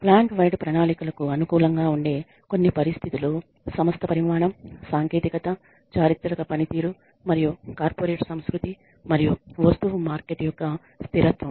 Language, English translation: Telugu, Some conditions favoring plant wide plans are firm size, technology, historical performance and corporate culture and stability of the product market